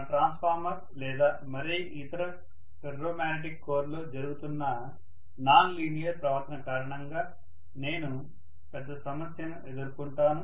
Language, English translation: Telugu, So I am going to have a big problem because of the nonlinear behavior that is happening in my transformer or any other ferromagnetic core